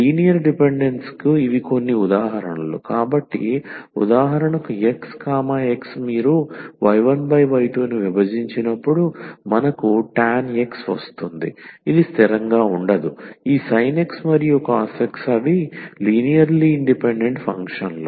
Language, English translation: Telugu, So, some examples of this linear dependence; so, for example, sin x and cos x when you divide y 1 by y 2 we will get tan x, so which is not constant, so these sin x and cos x they are linearly independent functions